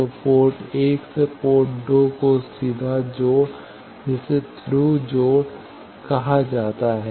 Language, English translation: Hindi, So, direct connection of port 1 to port 2 that is called Thru connection